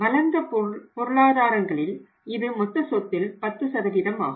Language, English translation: Tamil, In the developed economies means it is around 10% of the total assets